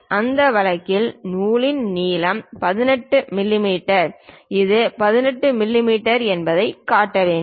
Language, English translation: Tamil, So, then in that case the thread length 18 mm also has to be shown this is the 18 mm